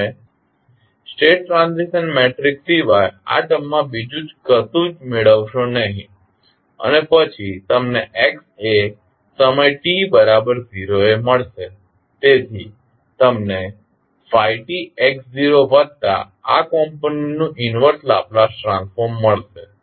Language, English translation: Gujarati, You get this term nothing but the state transition matrix and then you get x at time t is equal to 0, so you get phi t x0 plus the inverse Laplace transform of this component